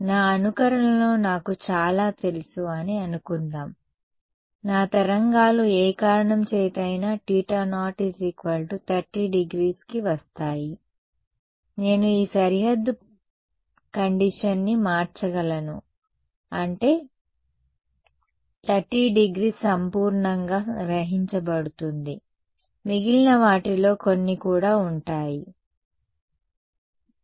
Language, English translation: Telugu, Supposing I know in that my simulation most of my waves are going to come at 30 degrees for whatever reason then, I can change this boundary condition such that 30 degrees gets absorbed perfectly, the rest will have some also, yeah